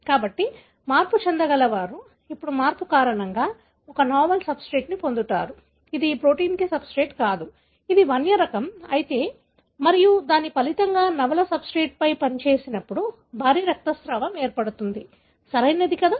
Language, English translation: Telugu, So, the mutant, now because of the change acquires a novel substrate which is not a substrate for this protein, if it is a wild type and as a result, when it acts up on the novel substrate that results in the heavy bleeding, right